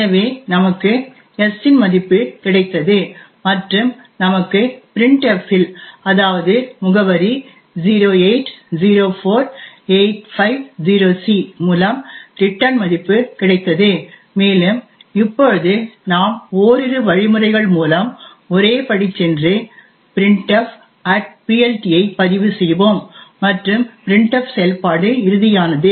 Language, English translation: Tamil, So we have got the value of s and we also have got the value of the return from the printf that is at the address 0804850c and now we will let will just single step through a couple of instructions we enter the printf@PLT and finally into the printf function